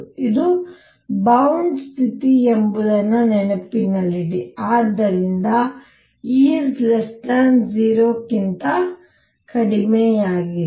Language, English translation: Kannada, Keep in mind that this is a bound state and therefore, E is less than 0